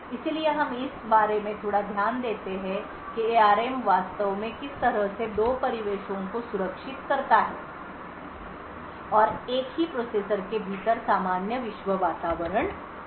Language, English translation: Hindi, So, we look a little bit about how ARM actually manages this to have two environments secured and the normal world environment within the same processor